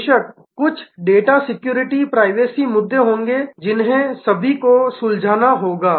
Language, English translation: Hindi, Of course, there will be certain data security privacy issues all those will have to be sorted